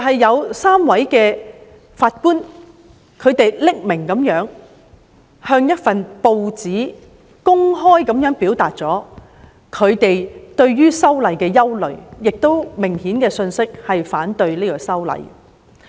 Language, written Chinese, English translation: Cantonese, 有3位法官向一份報章匿名地公開表達他們對修訂《逃犯條例》的憂慮，這信息明顯反對修例。, Three Judges anonymously and openly expressed their concerns about amending the Fugitive Offenders Ordinance in a newspaper . From the message it is clear that they are against the amendment exercise